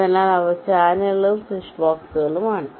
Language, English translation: Malayalam, they are called channels or switch boxes